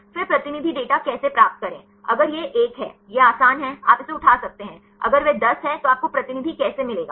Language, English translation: Hindi, Then how to get the representative data; if it is 1; it is easy, you can then pick it up; if that is 10 how to you get the representative one